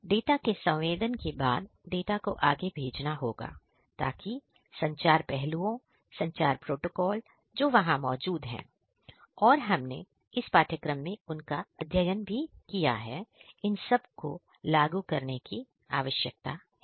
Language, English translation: Hindi, So, after the sensing of the data, the data will have to be sent, so that communication the communication aspects, the protocols that are there which you have studied in this course, all of these are going to be required they have to be implemented